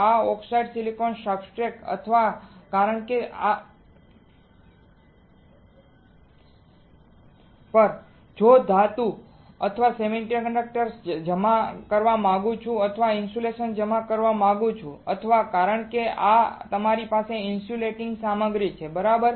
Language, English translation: Gujarati, On this oxidized silicon substrate if I want to deposit a metal or an a semiconductor or I want to deposit insulator or because this is your insulating material, right